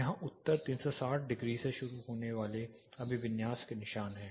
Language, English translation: Hindi, Here you have the orientation the starting from north 360 degrees are mark